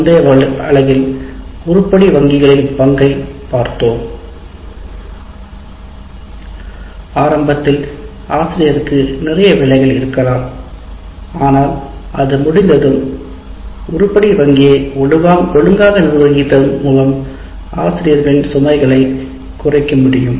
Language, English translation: Tamil, So in the last unit we looked at the role of item banks, how they can, though initially a lot of work this needs to be done by groups of faculty, but once it is done and by managing the item bank properly, it is possible to reduce the load on the faculty while maintaining good quality of assessment